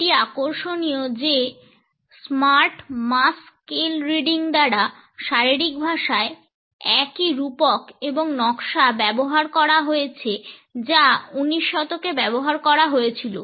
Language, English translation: Bengali, It is interesting that this smart mass scale reading of body language uses the same metaphor design; uses the same metaphor the same design, which had been used in the 19th century